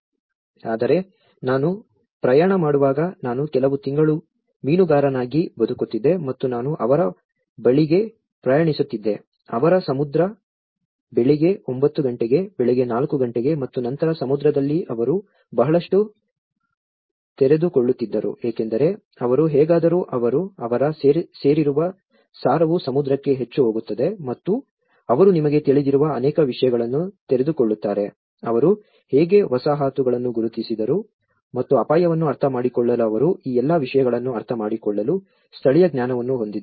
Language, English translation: Kannada, But when I travelled, I used to live as a fisherman for a few months and I used to travel to them, their Sea in the morning nine o clock, morning four o clock and then in the sea they used to open up a lot because they somehow, their belonging goes the essence of belonging is more to the sea and they used to open up many things you know, how they identified the settlement how they have the indigenous knowledge to understand the risk and all these things